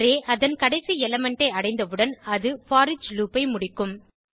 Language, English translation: Tamil, Once the array reaches its last element, it will exit the foreach loop